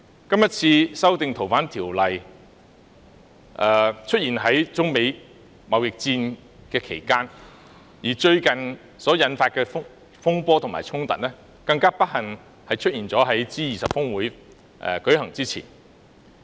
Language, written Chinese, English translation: Cantonese, 今次修訂《條例》的事件發生在中美貿易戰期間，而最近所引發的風波及衝突，更不幸地出現在 G20 峰會舉行前。, This incident of the amendment exercise of FOO occurred during the course of the China - United States trade war and unfortunately the furores and confrontations recently triggered arose before the G20 Osaka Summit